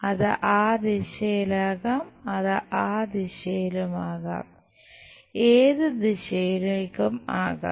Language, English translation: Malayalam, It can be in that direction, it can be in that direction, it can be in any direction